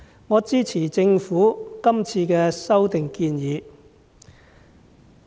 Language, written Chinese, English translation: Cantonese, 我支持政府的修例建議。, I support the Governments proposed legislative amendments